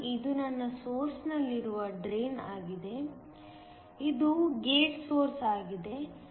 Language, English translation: Kannada, So, this is the drain that is my source; this is the gate the source